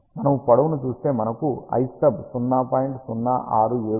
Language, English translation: Telugu, If we see the length, we get l stub equal to 0